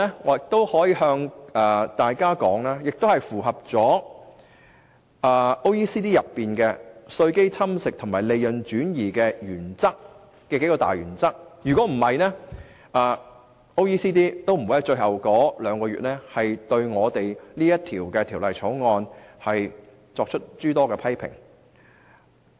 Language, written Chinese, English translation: Cantonese, 我可以向大家說，《條例草案》符合 OECD 有關稅基侵蝕和利潤轉移的數大原則，否則 OECD 也不會在最後兩個月對《條例草案》作出諸多批評。, I can tell Members that the Bill complies with the major principles concerning base erosion and profit shifting stipulated by OECD; otherwise OECD would not have criticized the Bill so intensely in the final two months